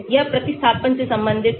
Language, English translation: Hindi, this is related to the substitution